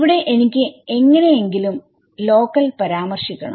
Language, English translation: Malayalam, So, there I have to somehow refer to the local things right